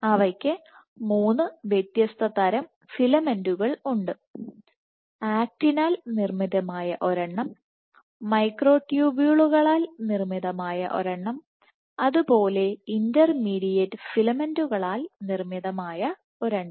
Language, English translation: Malayalam, So, there are 3 different filament types one made of Actin, one made of Microtubules, one made of Intermediate Filament